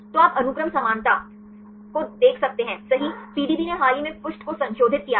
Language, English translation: Hindi, So, you can see the sequence similarity right the PDB recently revised the page